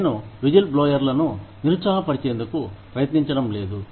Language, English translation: Telugu, I am not trying to discourage, whistle blowers